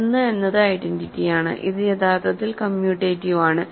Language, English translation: Malayalam, So, 1 is the identity, it is actually commutative